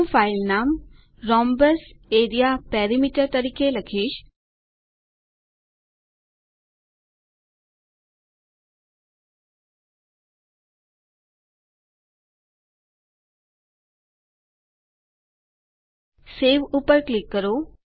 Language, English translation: Gujarati, I will type the filename as rhombus area perimeter Click on Save